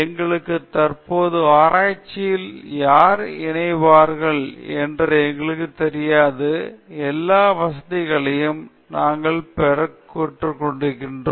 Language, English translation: Tamil, We don’t know who will be collaborating in our current research itself, we might not have all the facilities, but we can always collaborate with another university we can get the contacts